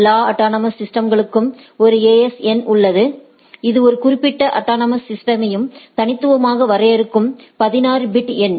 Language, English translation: Tamil, There is a AS number for any autonomous systems, which is a 16 bit number uniquely defined a particular autonomous system